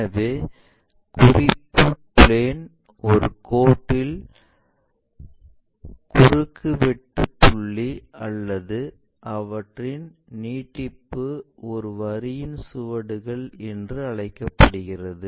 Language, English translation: Tamil, So, the point of intersections of a line or their extension with respect to the reference planes are called traces of a line